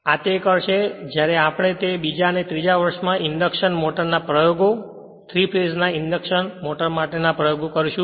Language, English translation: Gujarati, This will do it when you will in the second and third year when you will do the induction motor experiment right